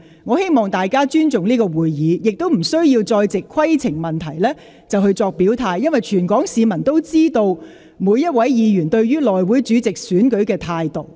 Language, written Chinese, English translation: Cantonese, 我希望大家尊重立法會會議，不要再藉着提出規程問題來表態，因為全港市民都知道各位議員對內務委員會主席選舉的立場。, I hope that all of you show respect to the Legislative Council meetings and stop stating your position by raising points of order because all the people of Hong Kong know each Members stance on the election of the House Committee Chairman